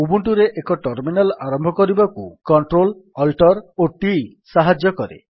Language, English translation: Odia, Ctrl Alt t helps to start a terminal in Ubuntu